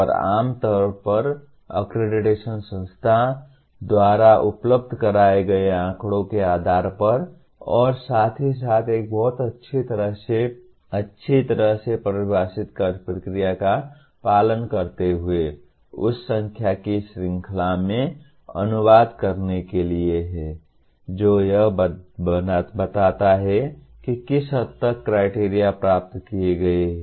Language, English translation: Hindi, And generally the accreditation is done by based on the data provided by the institution and as well as a peer team visiting the institution as following a very well, well defined process and to translate that into a series of numbers which state that to what extent the criteria have been attained